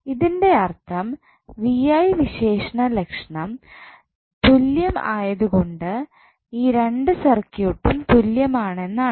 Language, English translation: Malayalam, So, that means that both of the circuits are equivalent because their V I characteristics are same